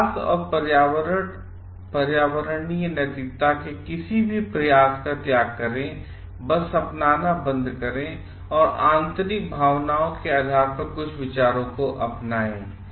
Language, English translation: Hindi, Abandon any attempt to develop and environmental ethics, and just stop adopt and just adopt some ideas based on inner feelings